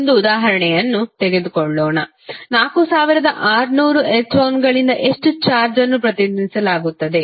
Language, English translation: Kannada, Let us take one example, how much charge is represented by 4600 electrons